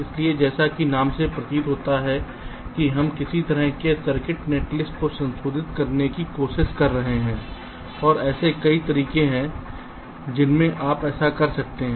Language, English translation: Hindi, so, as the name implies, we are trying to modify ah circuit netlist in some way and there are many ways in which you can do that